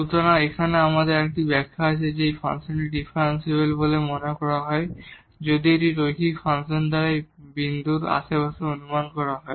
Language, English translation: Bengali, So, here also we have another interpretation that this function is said to be differentiable, if it can be approximated in the neighborhood of this point by the linear function